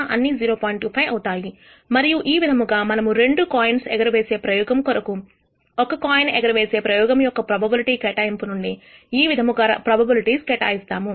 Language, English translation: Telugu, 25 and this way we actually assign the probabilities for the two coin toss experiment from the probability assignment of a single coin toss experiment